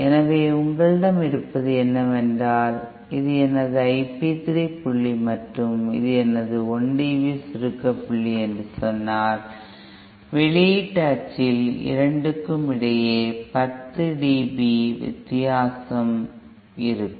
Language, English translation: Tamil, So what you have is that this say if this is my I p 3 point and say this is my 1 dB compression point , then there will be 10 dB difference between the two on the output axis